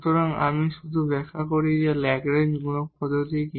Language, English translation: Bengali, So, let me just explain that what is the method of Lagrange multiplier